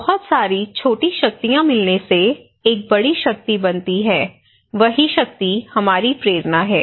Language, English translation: Hindi, So, putting a lot of small power together adds that the big power that is our motivation